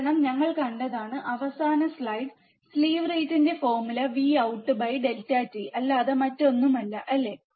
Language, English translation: Malayalam, Because we have seen in the last slide, the formula for slew rate is nothing but delta V out upon delta t, isn't it